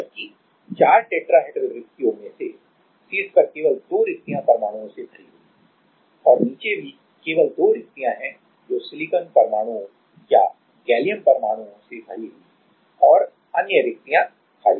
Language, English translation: Hindi, Whereas among the four tetrahedral vacancies at the top only 2 vacancies are filled with the atoms and at the bottom also with there are only 2 vacancies which are filled with the silicon atoms or gallium atoms right and the other vacancies remain vacant